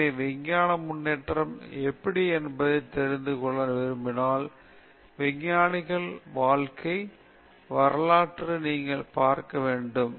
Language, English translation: Tamil, So, if you want to know how science has progressed, you have to look at the biographies of scientists